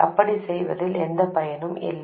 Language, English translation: Tamil, There is no point in doing that